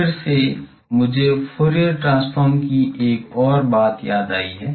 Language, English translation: Hindi, Now, again I recall another thing of Fourier transform